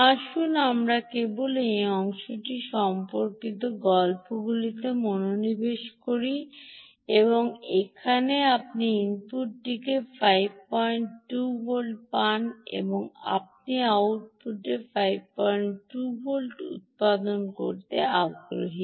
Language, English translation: Bengali, let us just concentrate on story related to this part where you get five point two volts at the input and you are interested in generating five volts at the output